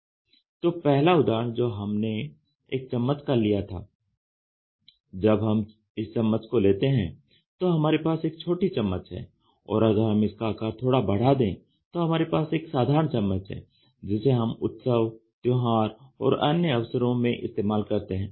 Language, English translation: Hindi, When I take the first example a spoon, when we look at spoons there is something called as teaspoon and slightly you go up you have a spoon which is normally we use it in parties and other things